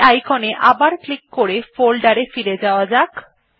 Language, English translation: Bengali, Let us go back to the folder by clicking this icon again